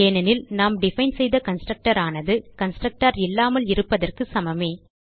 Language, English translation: Tamil, This is because the constructor, that we defined is same as having no constructor